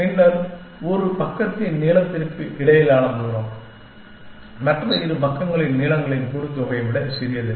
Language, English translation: Tamil, Then, the distance between of the length of one side is smaller than the sum of the lengths of the other two sides